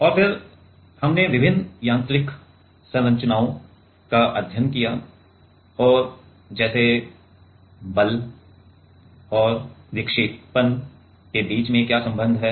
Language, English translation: Hindi, And, then we studied different mechanical structures and how like what is the relation between the force and deflection